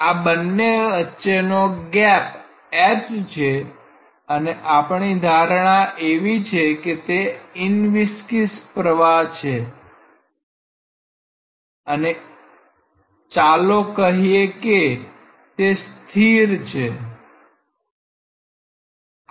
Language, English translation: Gujarati, The gap between these two, let us say the gap is h and our assumption is that it is inviscid flow and let us say steady flow